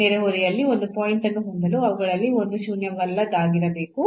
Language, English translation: Kannada, So, to have a point in the neighborhood one of them has to be non zero both of them have to be non zero